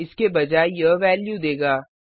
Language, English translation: Hindi, Instead it will give the value